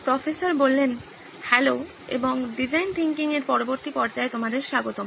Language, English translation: Bengali, Hello and welcome back to the next stage of design thinking